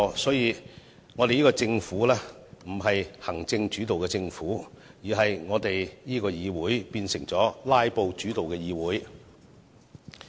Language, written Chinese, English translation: Cantonese, 因此，我們這個政府不是行政主導的政府，而我們這個議會則變成以"拉布"主導的議會。, The Government is therefore not an executive - led government and this Council is a legislature totally oriented by filibustering